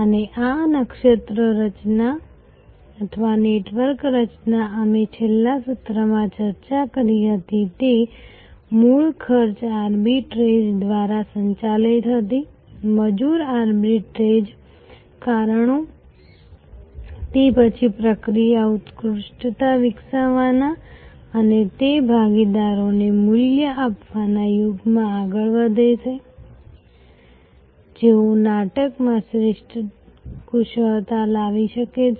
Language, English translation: Gujarati, And this constellation formation or network formation, we discussed in the last session originally was driven by cost arbitrage, labor arbitrage reasons, it then move to the era of developing process excellence and giving value to those partners, who could bring superior expertise to the play